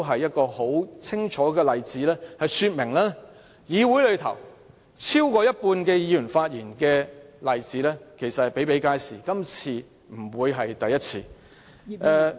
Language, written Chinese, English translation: Cantonese, 這清楚說明超過半數議員在二讀辯論時發言的例子比比皆是，今次不會是第一次。, This clearly indicates that there are numerous cases in which more than half of all Members speak at the Second Reading debate . This debate will not be the first one that more than half of the Members will speak